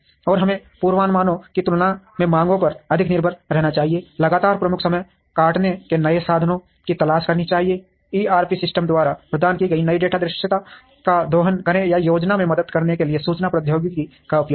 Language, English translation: Hindi, And we should depend more on demands than on forecasts, constantly look for new means of cutting lead times, exploit data visibility provided by ERP systems or use information technology to help in the planning